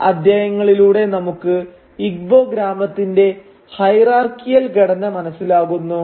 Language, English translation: Malayalam, We come to know from these chapters the hierarchical structure of the Igbo village